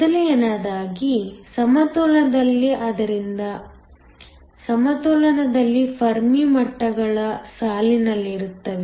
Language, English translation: Kannada, First, in equilibrium, so in equilibrium the Fermi levels line up